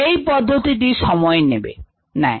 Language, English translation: Bengali, the plating method takes time